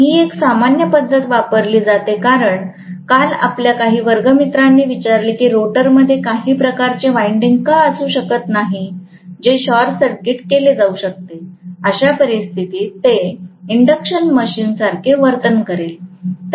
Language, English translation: Marathi, Another method normally that is used because some of your classmates yesterday asked, why cannot you have some kind of winding in the rotor which can be short circuited, in which case it will exactly behave like an induction machine, right